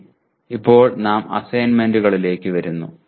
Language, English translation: Malayalam, Okay, now we come to the assignments